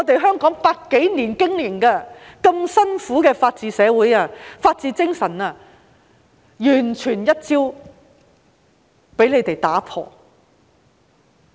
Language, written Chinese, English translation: Cantonese, 香港一百多年來辛苦經營的法治社會和法治精神，已被他們完全一朝打破。, In the past century or so Hong Kong has made strenuous efforts to establish a society of the rule of law and the spirit of the rule of law . Yet they have smashed all these overnight